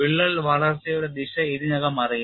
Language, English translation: Malayalam, The direction of crack growth is already known